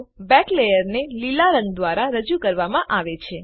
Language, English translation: Gujarati, Back layer is represented by green colour